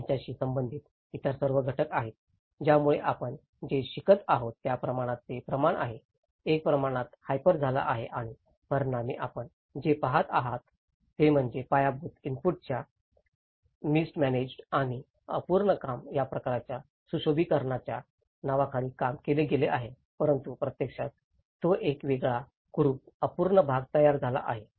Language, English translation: Marathi, There are all many other factors which is related to it, so the scale has been in this what we are learning, a scale has been hyped and as a result of that what we are seeing is the infrastructural input has been mismanaged and an unfinished work has been held over, so in that way, in the name of beautification of the project but it has actually created a different ugly, unfinished parts